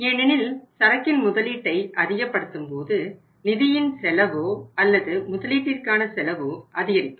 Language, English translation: Tamil, Because we will have to increase the investment in the inventory so it means the the cost of funds or the investment cost of the company will go up